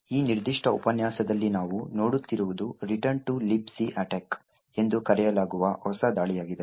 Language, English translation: Kannada, In this particular lecture what we will look at is a new form of attack known as the Return to Libc Attack